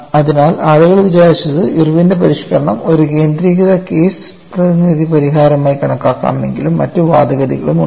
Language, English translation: Malayalam, So, people thought Irwin’s modification could be taken as a uniaxial case representative solution, but there are also other arguments